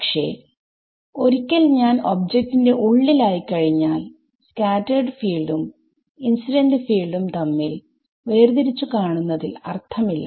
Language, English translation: Malayalam, Once I am inside the object, there is no real physical meaning to make this distinction, what is scattered field, what is incident field